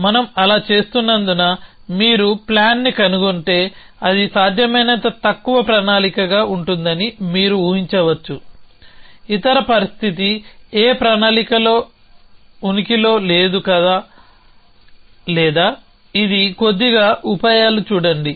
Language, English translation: Telugu, So, you can imagine that because we are doing that, if you find the plan it will be shortest possible plan essentially, the other situation is no plan exists or this is the little bit trickles see